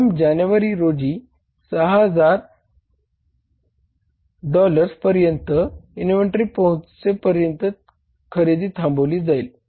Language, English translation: Marathi, On January 1st, purchases will cease until inventory reaches $6,000